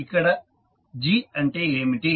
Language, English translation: Telugu, What is g